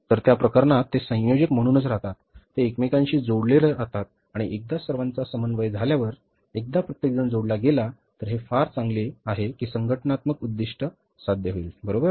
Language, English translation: Marathi, So, in that case they remain coordinated, they remain connected to each other and once everybody is coordinated, once everybody is connected then it is very well, it is possible very nicely that organizational objectives will be achieved